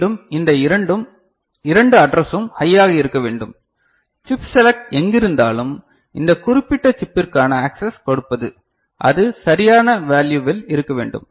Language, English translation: Tamil, Again these two address should be high ok, chip select wherever it is providing you know access to this particular chip, that should be at proper value ok